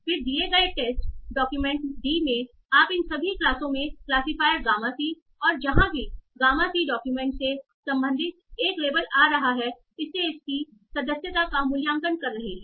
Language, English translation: Hindi, Then given test document D, you are evaluating its membership in each of these classes by the classifier gama c and wherever gamma c returns to, that is the label belonging to the document